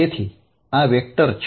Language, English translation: Gujarati, And what is this vector